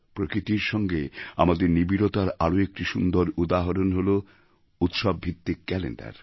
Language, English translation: Bengali, A great example of the interconnection between us and Nature is the calendar based on our festivals